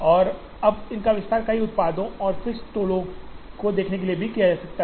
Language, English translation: Hindi, And now, these can also be expanded to looking at multiple products and fixed toll